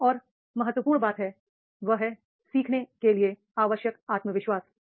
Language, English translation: Hindi, Another important is that is the confidence needed to learn